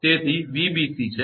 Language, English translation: Gujarati, So, it is Vbc